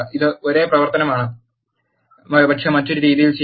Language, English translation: Malayalam, This is same operation, but done in a different fashion